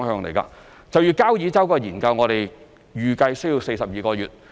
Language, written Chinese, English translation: Cantonese, 就交椅洲人工島的研究，我們預計需要42個月。, We estimate that the study on the Kau Yi Chau artificial islands will take 42 months